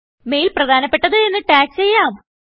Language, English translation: Malayalam, The mail is tagged as Important